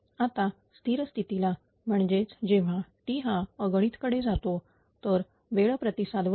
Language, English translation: Marathi, Now, at at steady state your what you call t tends to infinity right from this time response